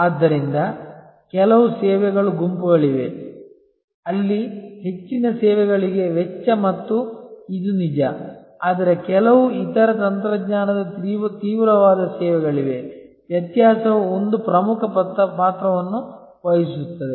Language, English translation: Kannada, So, there are certain sets of services, where cost and this is true for most services, but there are certain other technology intensive services, were differentiation can play an important part